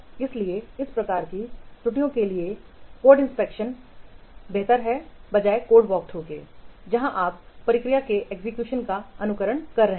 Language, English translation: Hindi, So for this kind of errors, code inspection is the better one rather than the code work through where you are simply hand simulating the execution of the procedure